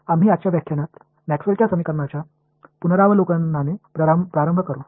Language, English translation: Marathi, We will start at today’s lecture with a review of Maxwell’s equations